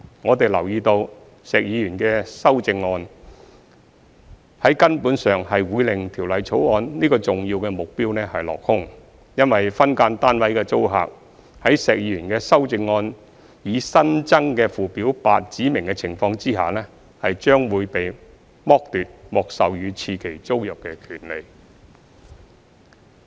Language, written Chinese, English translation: Cantonese, 我們留意到，石議員建議的修正案，將在根本上令《條例草案》這個重要目標落空，因為分間單位的租客，在石議員修正案擬新增的附表8指明的情況下，將被剝奪獲授予次期租賃的權利。, We notice that Mr SHEKs amendments would fundamentally cause this important objective of the Bill to fall through as SDU tenants would be deprived of the right to be granted a second term tenancy under the circumstances specified in the proposed new Schedule 8 in Mr SHEKs amendments